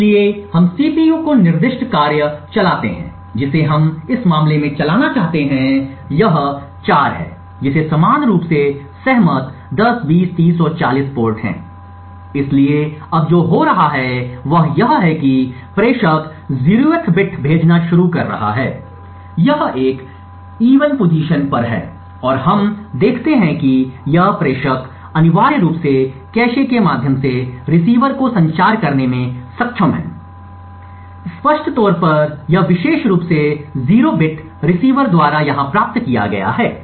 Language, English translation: Hindi, So we run the tasks set specify the CPU that we want to run in this case it is 4 with exactly the same agreed upon ports 10, 20, 30 and 40 so what is happening now is that the sender is beginning to send a 0th bit it is at a time even location and we see that this sender is essentially through the cache able to communicate to the receiver, so apparently this particular 0 bit has been received over here by the receiver